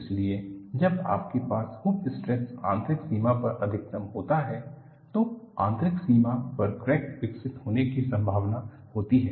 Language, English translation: Hindi, So, when you have hoop stress is maximum at the inner boundary, there is a possibility of crack developing at the inner boundary